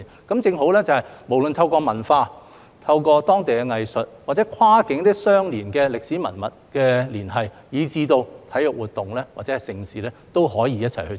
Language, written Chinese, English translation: Cantonese, 這正好說明，無論透過文化、當地藝術或跨境相連的歷史文物的連繫，以至體育活動或盛事，也可以一起推行。, This precisely demonstrates that it is possible to work together whether through cultural local arts or cross - border historical heritage links or in the form of sports activities or major events